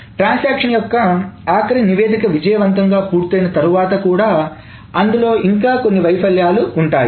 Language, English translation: Telugu, So, after the last statement of the transaction is successfully done, there may be still some failures